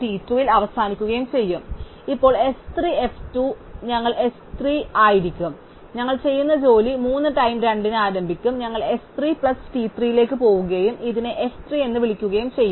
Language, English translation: Malayalam, So, likewise now s 3 will be f 2, we will start job 3 at time t 2 and we will go on to s 3 plus t 3 and call this f 3